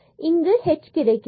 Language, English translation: Tamil, So, exactly we have this is like h here